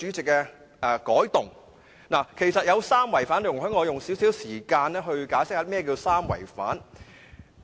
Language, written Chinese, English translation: Cantonese, 這項修訂其實有三違反，容許我花少許時間解釋甚麼是三違反。, In fact the amendment has three violations . Allow me to spend a little time on explaining the violations